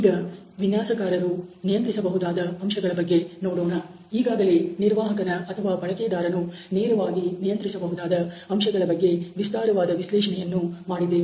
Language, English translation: Kannada, So, let us look at the factors which are controlled by designers we already did a very detailed analysis of the factors which are controlled by the operator or the user directly